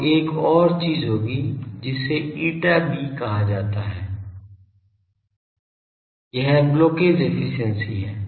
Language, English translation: Hindi, So, there will be another thing which is called eta b this is blockage efficiency